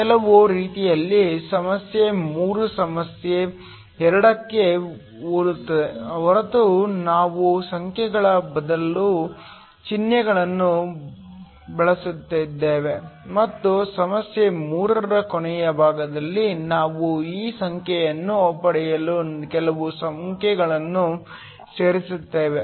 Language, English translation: Kannada, In some ways problem 3 is similar to problem 2 except that we are using symbols instead of numbers, and in the last part of problem 3 we will actually plug in some numbers to get this expression